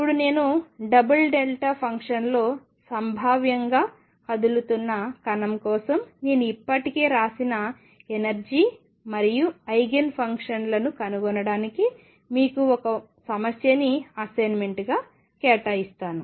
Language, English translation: Telugu, Now this I will be assigning you as an assignment problem to find the energy and eigenfunctions actually eigenfunctions I have already written for a particle moving in a double delta function potentially